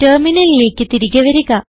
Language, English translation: Malayalam, Come back to terminal